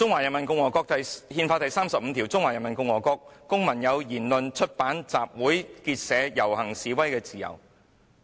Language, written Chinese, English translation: Cantonese, "《憲法》第三十五條訂明："中華人民共和國公民有言論、出版、集會、結社、遊行、示威的自由。, Article 35 of the Constitution stipulates Citizens of the Peoples Republic of China enjoy freedom of speech of the press of assembly of association of procession and of demonstration